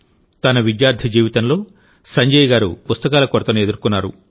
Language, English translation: Telugu, In his student life, Sanjay ji had to face the paucity of good books